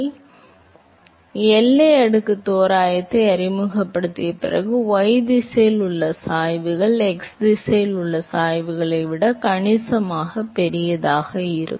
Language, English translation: Tamil, So, this is after we introduce the boundary layer approximation, then the gradients in the y direction are significantly larger than the gradients in the x direction